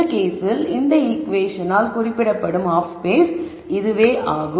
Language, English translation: Tamil, In this case it will turn out that this is the half space that is represented by this equation